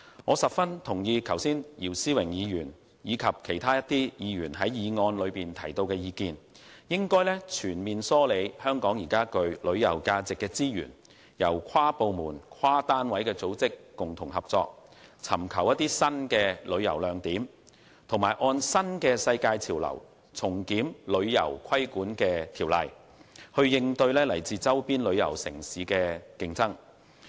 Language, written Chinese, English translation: Cantonese, 我十分認同剛才姚思榮議員及其他議員就議案提出的意見，應全面梳理香港具旅遊價值的資源，由跨部門、跨單位的組織共同合作，尋求新的旅遊亮點，按新的世界潮流重新檢討旅遊規管法例，以應對來自周邊旅遊城市的競爭。, I strongly concur with the views expressed by Mr YIU Si - wing and other Members on the motion just now . It is necessary to collate all the resources with tourism values in Hong Kong and explore new tourist attractions with inter - departmental inter - agency cooperation . In the face of the competition from neighbouring tourist destinations legislation regulating the tourism industry should be reviewed afresh in line with the new global trends